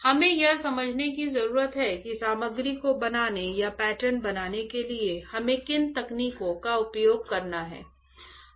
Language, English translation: Hindi, We need to understand that what techniques we have to use for fabricating or for patterning the material alright